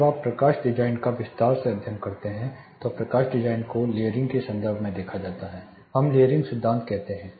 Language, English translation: Hindi, When you study lighting design in detail, light you know lighting design is dealt with in terms of layering we call layering principle